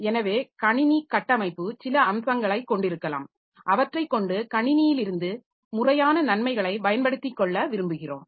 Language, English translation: Tamil, So, architecture may have some features we want to exploit them for proper benefit from the system